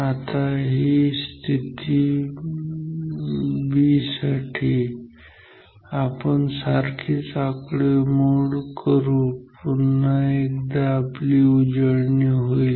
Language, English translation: Marathi, Now, now for position b, let us do the similar calculation once again it will also be our practice